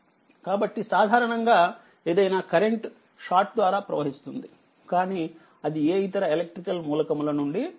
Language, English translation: Telugu, So, if generally any source any current flow through the short circuit, it will not go to any your what you call any other electrical element